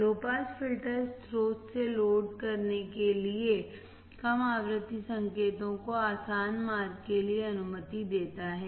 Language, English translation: Hindi, Low pass filter allows for easy passage of low frequency signals from source to load